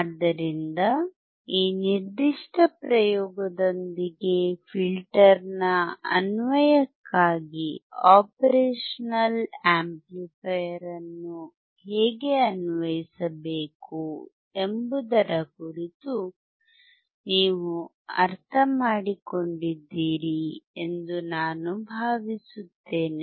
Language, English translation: Kannada, So, with this particular experiment, I hope that you understood something further regarding how to apply the operational amplifier for the application of a filter